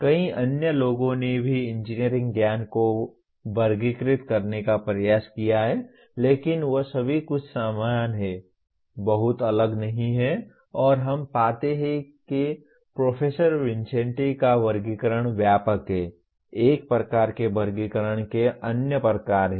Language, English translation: Hindi, Many others also have attempted through categorize engineering knowledge but all of them are somewhat similar, not very different and we find that Professor Vincenti’s classification is comprehensive, is kind of subsumes other types of categorization